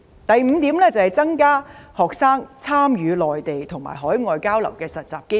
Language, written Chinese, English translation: Cantonese, 第五點，增加學生參與內地和海外交流及實習的機會。, Fifth I propose to increase the opportunities for students to participate in Mainland and overseas exchange and internship programmes